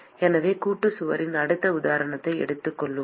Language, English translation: Tamil, So, let us take the next example of Composite wall